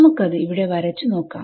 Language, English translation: Malayalam, So, let us draw it once over here